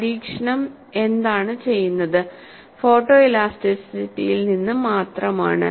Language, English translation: Malayalam, The experiment, what is done, is only from photo elasticity